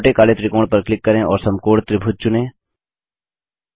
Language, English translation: Hindi, Click on the small black triangle and select Right Triangle